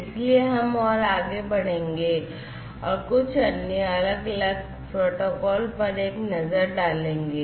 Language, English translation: Hindi, So, we will go further and we will have a look at few other different protocols